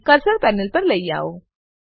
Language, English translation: Gujarati, And bring the cursor to the panel